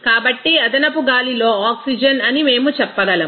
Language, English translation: Telugu, So, we can say that oxygen in excess air